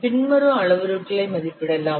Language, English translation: Tamil, The following parameters can be estimated